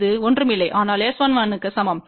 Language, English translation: Tamil, Is nothing, but equal to S 11